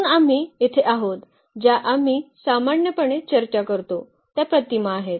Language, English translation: Marathi, So, we are exactly this is the image which we usually discuss which we considered here